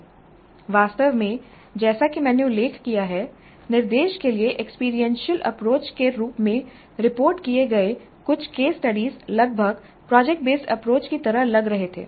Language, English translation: Hindi, In fact as I mentioned some of the case studies reported as experiential approach to instruction almost look like project based approaches